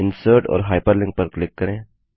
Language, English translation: Hindi, Click on Insert and Hyperlink